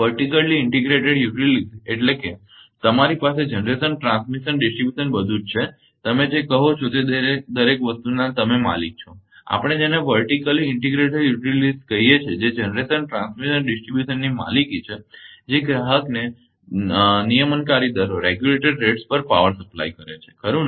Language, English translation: Gujarati, Vertically integrated utilities mean you have generation transmission distribution everything together you are the you are the owner of everything that is we call vertically integrated utilities which own generation, transmission and distribution that supply power to the customer at regulated rates right